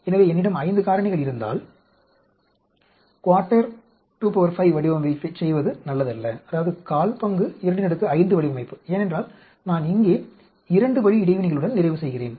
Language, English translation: Tamil, So, if I have 5 factors, it is not a good idea to do a one fourth 2 power 5 design because I end up with some two way interactions here